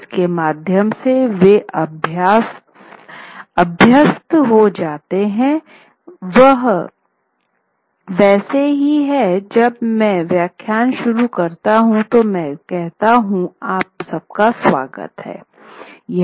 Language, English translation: Hindi, And through that they get used to just as the way let us say when I begin the lecture, I say welcome everybody